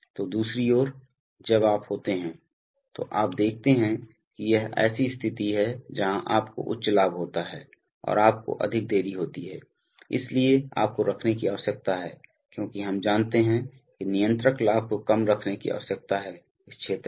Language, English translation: Hindi, So, but on the other hand, when you are, so you see that this is situation where you have high gain and you have a high delay, so you need to keep, as we know that the controller gain needs to be kept low in this region